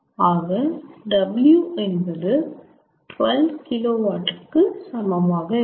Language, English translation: Tamil, that is equal to twelve two kilowatt